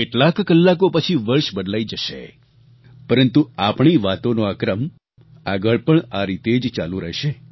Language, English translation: Gujarati, A few hours later, the year will change, but this sequence of our conversation will go on, just the way it is